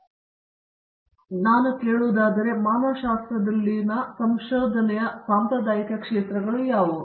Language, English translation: Kannada, So, tell us, what are traditional areas of research in humanities